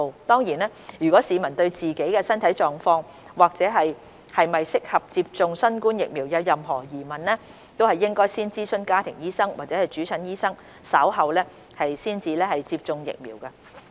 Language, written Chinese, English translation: Cantonese, 當然，如果市民對自己的身體狀況或是否合適接種新冠疫苗有任何疑問，應該先諮詢家庭醫生或主診醫生，稍後才接種疫苗。, Of course if citizens have any questions about their physical condition or whether they are fit for COVID - 19 vaccination they should first consult their family doctor or attending doctor before getting vaccinated